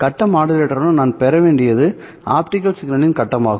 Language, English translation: Tamil, Well, what I should get with the face modulator is the face of the optical signal